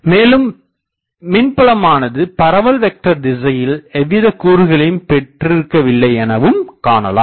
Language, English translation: Tamil, So, can I say that the electric field also does not have any component in the direction of the propagation vector